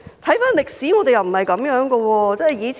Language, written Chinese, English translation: Cantonese, 回顧歷史，我們過往並非如此。, Looking back in history we were not like this in the past